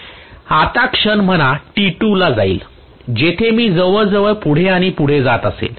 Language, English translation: Marathi, Now at instant say t2 where almost I am going to have this moving further and further